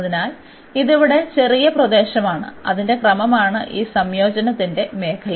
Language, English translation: Malayalam, So, this is small region here that is the order of that is the region of this integration